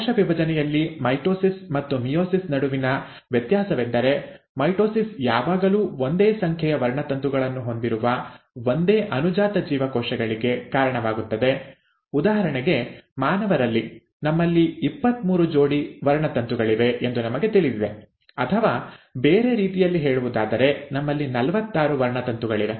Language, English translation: Kannada, The difference between mitosis and meiosis in cell division is that mitosis always gives rise to identical daughter cells with same number of chromosomes; for example in humans, we all know that we have twenty three pairs of chromosomes, or in other words we have forty six chromosomes